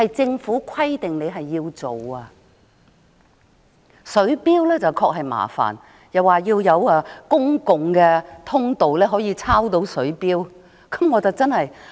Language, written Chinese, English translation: Cantonese, 政府表示在水錶方面，比較麻煩的是需要有公共通道讓職員抄錄水錶讀數。, The Government said that in respect of water meters a more tricky part is that a common access is needed for the staff to take the water meter readings